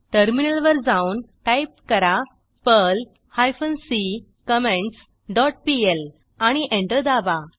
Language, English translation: Marathi, Switch to the Terminal, and type perl hyphen c comments dot pl and press Enter